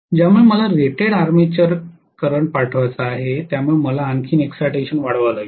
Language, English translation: Marathi, Because of which to actually pass rated armature current I have to increase excitation further